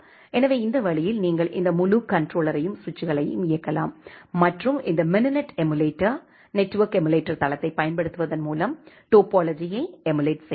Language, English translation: Tamil, So, that way you can actually run this entire controller and the switches and emulate the topology by using this mininet emulator network emulator platform